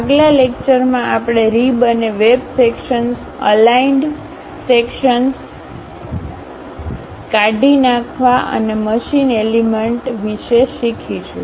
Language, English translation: Gujarati, In the next class we will learn about rib and web sections, aligned sections, broken out, removed and machine elements